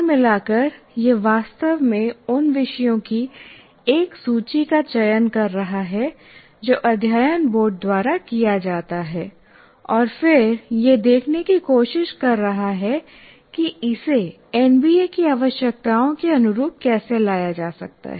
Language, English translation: Hindi, By and large it is really selecting a list of topics which is done by Board of Studies and then trying to see how we can bring it into in alignment with NBA requirements